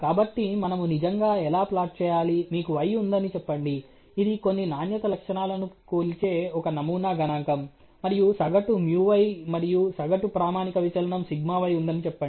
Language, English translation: Telugu, So, how do we really plot, so you have let’s say y which is a sample statistic that measures some quality characteristics of interest, and let us say there is a average µy and the mean σy which is the standard deviation